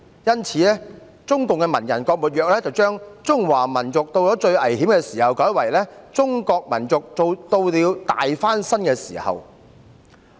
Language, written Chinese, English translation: Cantonese, 因此，中共文人郭沫若將"中華民族到了最危險的時候"修改為"中國民族到了大翻身的時候"。, As such GUO Moruo a CPC literary hack changed the peoples of China are at their most critical time to the peoples of China are at a time of their great emancipation